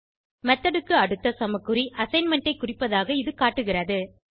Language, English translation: Tamil, This demonstrates that the equal to sign next to a method means assignment